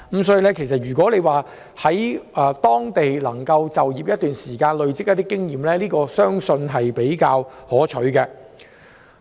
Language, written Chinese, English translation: Cantonese, 所以，如果能夠在當地就業一段時間，累積經驗，然後才創業，相信這做法會比較可取。, Therefore it is better for entrepreneurs to first work as an employee in the Mainland for some time to gain experience before starting a business